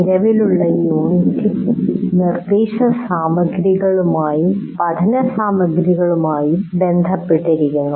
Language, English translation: Malayalam, In this present unit, which is related to instruction material and learning material